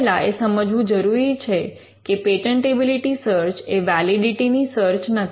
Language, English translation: Gujarati, Now one thing that needs to be understood well is that a patentability search is not a search of validity